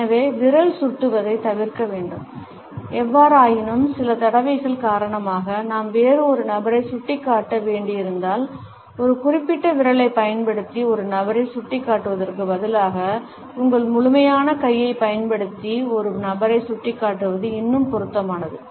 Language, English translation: Tamil, So, finger pointing should be avoided; however, if because of certain constraints we have to point at certain other person, it would be still appropriate to point at a person using your complete hand, instead of pointing a person using a particular finger